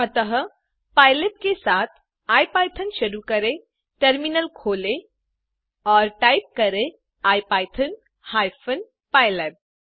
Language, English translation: Hindi, so,let us start ipython with pylab loaded, open the terminal and type ipython hyphen pylab